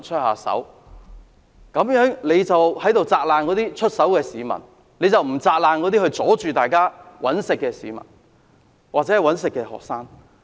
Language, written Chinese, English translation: Cantonese, 可是，尹議員只責難出手的市民，卻沒有責難那些阻礙大家"搵食"的學生。, However Mr WAN only blamed people for taking action but was silent on students who prevented people from making a living